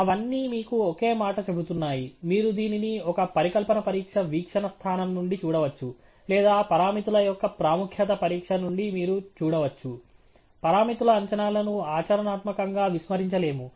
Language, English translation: Telugu, They all telling you the same thing; you can look at it from a hypothesis testing view point or you can look at it from a significance test for the parameters; either way what it’s trying to tell us we cannot ignore the parameters estimates practically